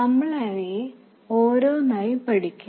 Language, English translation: Malayalam, We will study them one by one